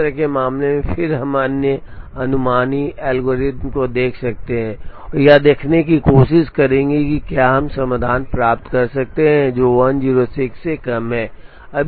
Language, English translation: Hindi, In such a case then we can look at other heuristic algorithms, and try to see if we can get solutions, which are less than 106 make span